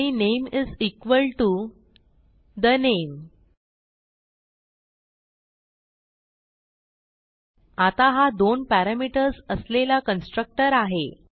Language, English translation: Marathi, And name is equal to the name So we have a constructor with two parameters